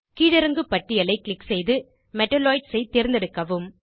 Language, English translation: Tamil, Click on the drop down list and select Metalloids